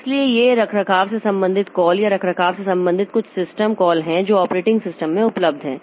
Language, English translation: Hindi, So, these are some of the maintenance related calls or maintenance related system calls that are available in operating systems